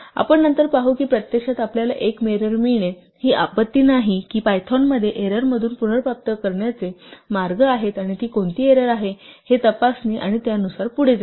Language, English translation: Marathi, We will see later on that actually the fact that you get an error is not a disaster there are ways within Python to recover from an error or to check what error it is and proceed accordingly